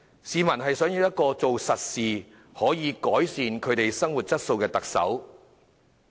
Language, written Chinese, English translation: Cantonese, 市民想要一個做實事、可改善他們生活質素的特首。, The Chief Executive that people want is a doer who can improve their quality of living